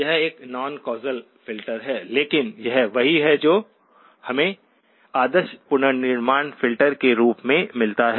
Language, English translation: Hindi, It is a non causal filter but this is what we get as the ideal reconstruction filter